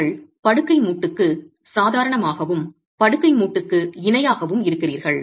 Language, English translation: Tamil, You have normal to the bed joint and parallel to the bed joint